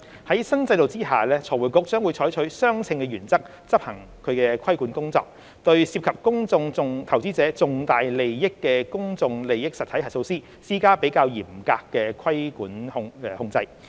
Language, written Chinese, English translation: Cantonese, 在新制度下，財匯局將會採取相稱原則執行其規管工作，對涉及公眾投資者重大利益的公眾利益實體核數師施加較嚴格的規管控制。, Under the new regime FRC will adopt the proportionality principle in the performance of its regulatory work . A higher level of regulatory control has been adopted on PIE auditors where significant interests of public investors are involved